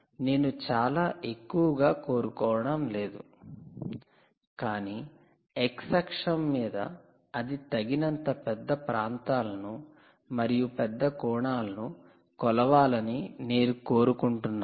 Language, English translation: Telugu, you dont want it very high, but on the x axis you want it to be measuring a sufficiently ah um, large areas, ah, so large angle